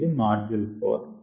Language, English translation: Telugu, that's it for module four